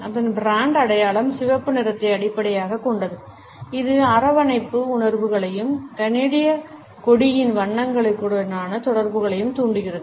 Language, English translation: Tamil, Its brand identity is based on red which evokes feelings of warmth as well as its associations with the colors of the Canadian flag